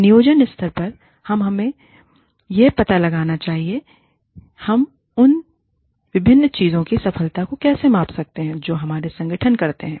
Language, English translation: Hindi, At the planning stage, we must find out, how we can measure, the success of the different things, that our organization, does